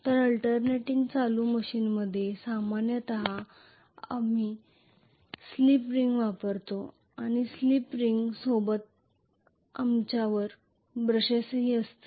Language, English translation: Marathi, So in an alternating current machine normally we use slip ring and along with slip ring we will be having brushes